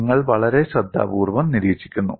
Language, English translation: Malayalam, You observe very carefully and listen very carefully